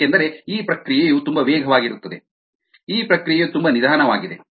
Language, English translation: Kannada, ok, the because this process is very fast, this process is very slow